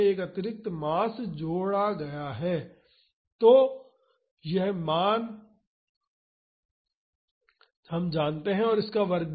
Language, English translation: Hindi, So, we know this value of k by m now, the square of this